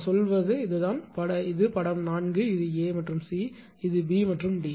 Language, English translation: Tamil, I mean this one; this is figure 4; this a and c; this is b and d